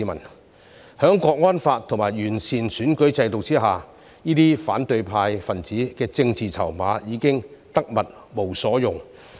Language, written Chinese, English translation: Cantonese, 在《香港國安法》和完善選舉制度下，這些反對派分子的政治籌碼已經得物無所用。, Under the Hong Kong National Security Law and the improved electoral system the political bargaining chips of the opposition camp were rendered useless